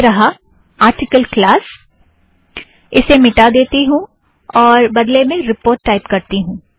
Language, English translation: Hindi, Here it is article, let me delete this, and change it to report